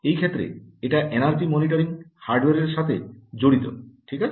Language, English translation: Bengali, in this case this is specific to the energy monitoring hardware